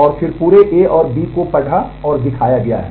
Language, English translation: Hindi, And then the whole of A and B have been read and displayed